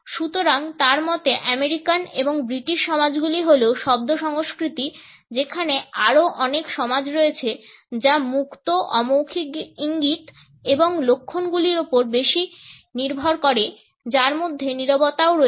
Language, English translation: Bengali, So, in his opinion the American and British societies are word cultures whereas, there are many other societies which rely more on open nonverbal cues and signs which include silence also